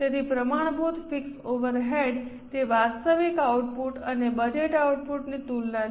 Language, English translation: Gujarati, So, standard fixed overhead rate, it's a comparison of actual output and budgeted output